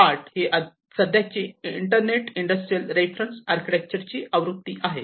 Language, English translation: Marathi, 8 is the current version of the Industrial Internet Reference Architecture